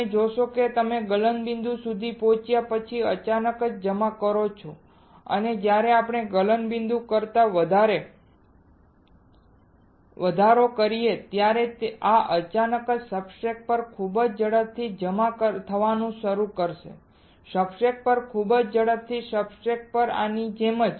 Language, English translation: Gujarati, You see when you deposit suddenly after the melting point is reached and when we increase greater than melting point this will start suddenly depositing very fast on the substrate, very fast on the substrate like this very fast on the substrate